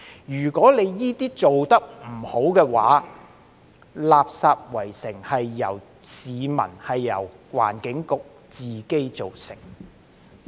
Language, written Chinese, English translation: Cantonese, 如果這些做得不好的話，"垃圾圍城"便是由市民、由環境局自己造成的。, If these are not handled properly a garbage siege will be brought about by the public and the Environment Bureau ENB